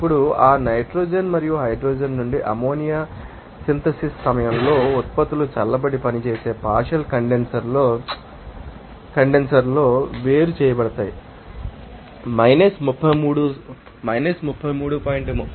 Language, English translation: Telugu, Now, you know that during that ammonia synthesis from nitrogen and hydrogen the products are cooled and separated in a partial condenser that is operated 33